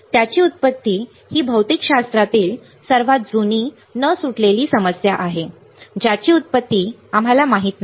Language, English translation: Marathi, Its origin is one of the oldest unsolved problem in physics see from where it originates we do not know